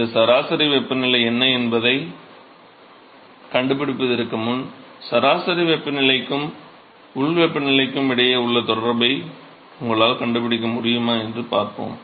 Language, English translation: Tamil, So, before we go and find out what is this mean temperature, let us see if you can find the relationship between the mean temperature and the actual local temperature